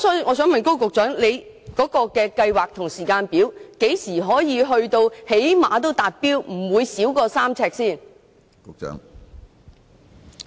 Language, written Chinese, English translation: Cantonese, 我想問高局長有何計劃及有關時間表，即何時可以達標，確保病床距離不會少於3呎？, May I ask Secretary Dr KO Wing - man of the plan and the timetable for achieving the standard that is when the standard distance of no less than 3 ft between beds can be achieved?